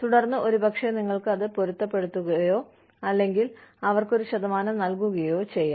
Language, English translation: Malayalam, And then, maybe, you can match it, or give them, a percentage of it